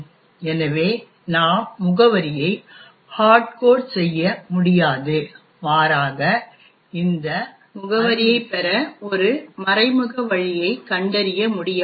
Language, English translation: Tamil, So, therefore we cannot hardcode the address but rather find an indirect way to actually get the address of this instruction